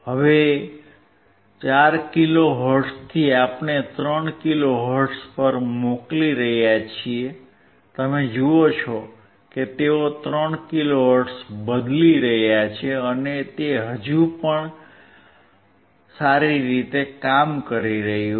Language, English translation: Gujarati, Now from 4 kilohertz, we are sending to 3 kilo hertz, you see they are changing the 3 kilo hertz still it is working well